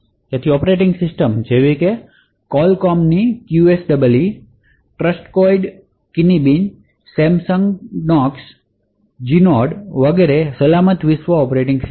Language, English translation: Gujarati, So operating systems such as Qualcomm’s QSEE, Trustonics Kinibi, Samsung Knox, Genode etc are secure world operating systems